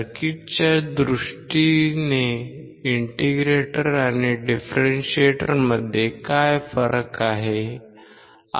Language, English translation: Marathi, What is the difference between integrator and differentiate in terms of circuit